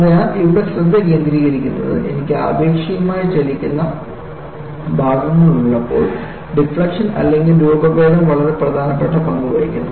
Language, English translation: Malayalam, So, the focus here is, when I have relative moving parts, the deflection or deformation plays a very important role